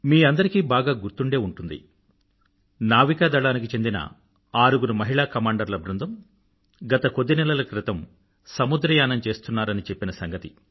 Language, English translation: Telugu, I am sure you distinctly remember that for the last many months, a naval team comprising six women Commanders was on a voyage